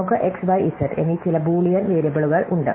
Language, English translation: Malayalam, So, we have some Boolean variables x, y and z